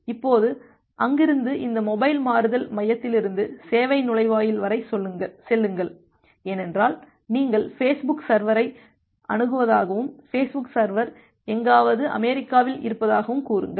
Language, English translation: Tamil, Now from there from this mobile switching center to the service gateway, because say you are just accessing the Facebook server and the Facebook server is somewhere there in say USA